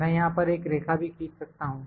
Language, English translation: Hindi, I can draw a line here as well